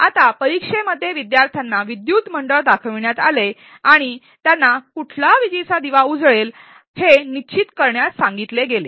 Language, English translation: Marathi, Now in the exam, two circuits were shown to the students and they were asked to determine in which one of them will the bulbs glow brighter